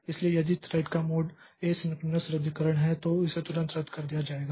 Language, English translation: Hindi, So, if the mode of the thread is asynchronous cancellation, then it will be canceling it immediately